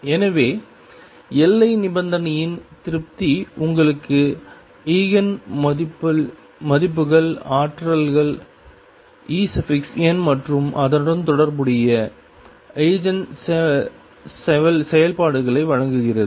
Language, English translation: Tamil, So, the satisfaction of boundary condition gives you the Eigen values energy E n and the corresponding Eigen functions